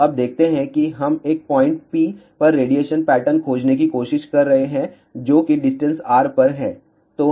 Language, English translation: Hindi, So, let us see now we are trying to find the radiation pattern at a point p which is at a distance r